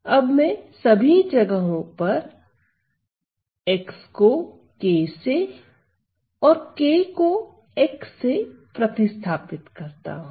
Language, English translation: Hindi, Now I am going to replace x; I am going to replace x by k; I am going to replace x by k x by k and k by x everywhere